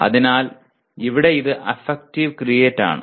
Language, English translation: Malayalam, So here it is affective create